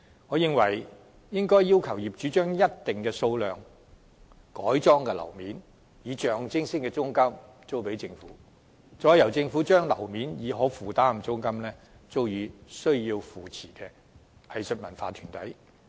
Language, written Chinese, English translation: Cantonese, 我認為，政府應規定業主將一定數量經改裝的樓面面積，以象徵式租金租予政府，再由政府以可負擔租金租予需予扶持的藝術文化團體。, I think the Government should require that certain converted floor space be let to the Government at a nominal rental which will then be leased out to the needy arts and cultural groups at affordable rentals